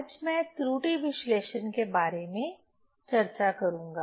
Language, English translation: Hindi, So, today I will discuss about the error analysis